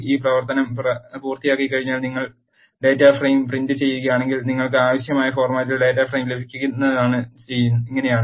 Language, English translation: Malayalam, Once this operation is done, if you print the data frame this is how you will get the data frame in your required format